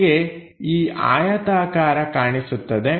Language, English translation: Kannada, We are going to see this rectangle